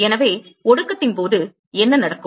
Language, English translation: Tamil, So, what happens during condensation